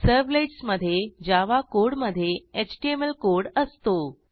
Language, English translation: Marathi, JSPs contain Java code inside HTML code